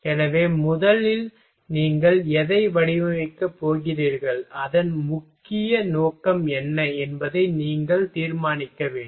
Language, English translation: Tamil, So, first you will have to decided whatever your designing what you’re going to fabricate, what will be its main purpose